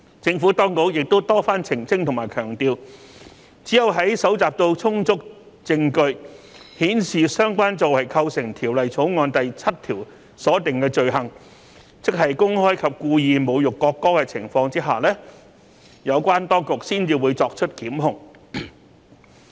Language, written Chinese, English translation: Cantonese, 政府當局亦多番澄清和強調，只有在搜集到充足證據顯示相關作為構成《條例草案》第7條所訂的罪行，即公開及故意侮辱國歌的情況之下，有關當局才會作出檢控。, As the Administration has repeatedly clarified and stressed the authorities will institute prosecution only when sufficient evidence is gathered to show that the relevant act constitutes an offence under clause 7 of the Bill that is the person concerned has insulted the national anthem publicly and intentionally